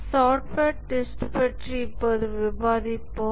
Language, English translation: Tamil, We will now discuss about software testing